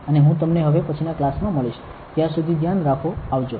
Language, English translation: Gujarati, And I will see you in the next class, till then you take care, bye